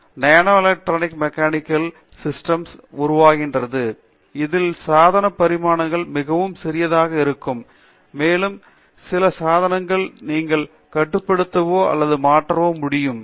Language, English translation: Tamil, Now, that is evolved into nano electro mechanical systems, where the device dimensions are very small and you will be able to control or switch certain devices